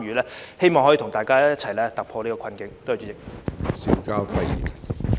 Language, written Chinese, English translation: Cantonese, 我希望可以跟大家一起突破現時的困境。, I hope that we can work together to break away from the present predicaments